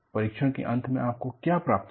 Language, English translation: Hindi, At the end of the test, what you get